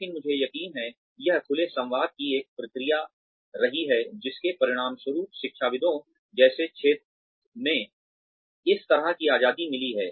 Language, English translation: Hindi, But, I am sure, this has been a process of open dialogue, has resulted in this kind of a freedom in a field like academics